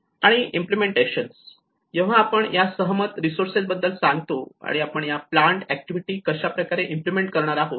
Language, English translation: Marathi, And implementation so when we say about the agreed resources and how we going to implement these planned activities